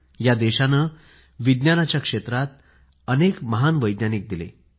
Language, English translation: Marathi, This land has given birth to many a great scientist